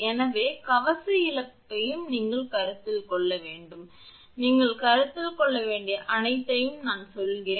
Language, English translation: Tamil, So, armour loss also you have to consider, I mean everything you have to consider